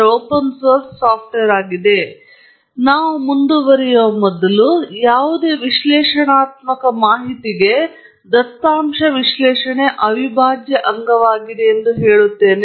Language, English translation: Kannada, Now, before we proceed further, let me tell you that data analysis is an integral part of any research work